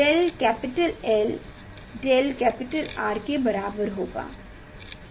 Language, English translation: Hindi, del capital L will be equal to del capital R